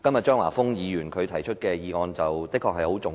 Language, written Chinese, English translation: Cantonese, 張華峰議員今天提出的議案的確很重要。, The motion moved by Mr Christopher CHEUNG today is indeed very important